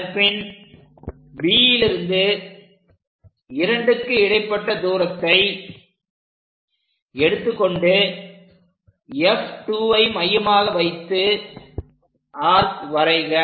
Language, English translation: Tamil, Similarly, from B to 2 distance whatever the distance F 2 as centre make an arc on both sides